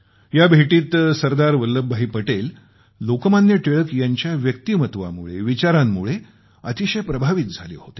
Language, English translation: Marathi, Sardar Vallabh Bhai Patel was greatly impressed by Lok Manya Tilakji